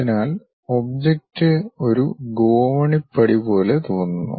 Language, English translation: Malayalam, So, the object looks like a staircase steps